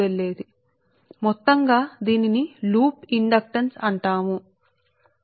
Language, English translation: Telugu, so totally, this is called loop inductance right